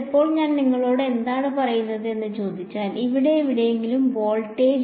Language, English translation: Malayalam, Now, if I ask you what is let us say, the voltage at some point over here V of r